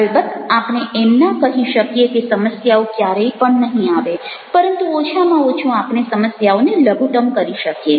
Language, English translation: Gujarati, of course we cannot say that problems will never come, but at least we can minimize our problems